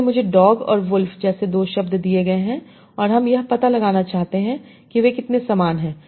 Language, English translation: Hindi, So, I am given two words like dog and wolf, and I want to find out how similar they are